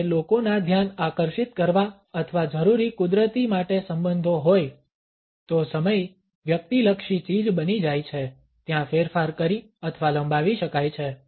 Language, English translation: Gujarati, When people are relationships to mount attention or required nurture time becomes a subjective commodity there can be manipulated or stretched